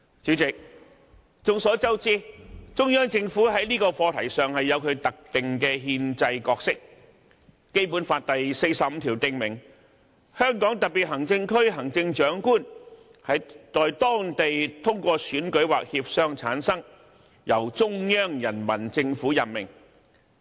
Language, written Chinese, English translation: Cantonese, 主席，眾所周知，中央政府在這個課題上有其特定的憲制角色，《基本法》第四十五條訂明，"香港特別行政區行政長官在當地通過選舉或協商產生，由中央人民政府任命。, President as is known to all the Central Government has a designated constitutional role on this issue . Article 45 of the Basic Law provides that [t]he Chief Executive of the Hong Kong Special Administrative Region shall be selected by election or through consultations held locally and be appointed by the Central Peoples Government